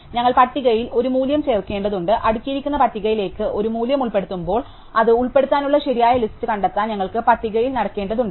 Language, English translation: Malayalam, We need to insert a value in to the list, and as we saw in insertion sort when we insert a value in to the sorted list we have to walk down the list to find the correct place to put it in